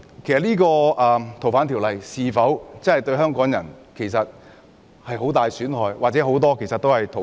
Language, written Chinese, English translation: Cantonese, 然而，《逃犯條例》是否對香港人造成很大損害或很多人是逃犯？, However will FOO cause great harm to Hong Kong people or are many people fugitives?